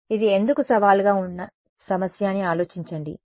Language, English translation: Telugu, So, imagine why this is a challenging problem